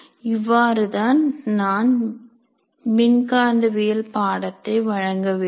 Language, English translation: Tamil, This is complete course on electromagnetism